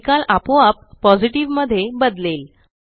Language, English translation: Marathi, The result automatically changes to Positive